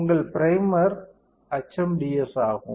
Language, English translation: Tamil, Your primer is HMDS